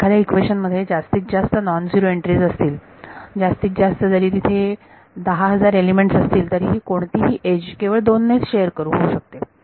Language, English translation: Marathi, So, the maximum number of non zero entries in any equation even if there are 10000 elements in this any edge can only be shared by 2